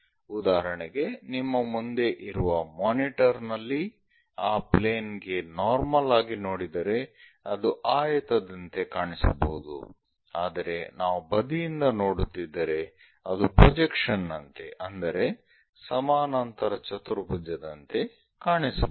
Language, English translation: Kannada, For example, the monitor in front of you, if we are looking normal to that plane it may look like a rectangle, but if we are looking from sideways it might look like the projection, might look like a parallelogram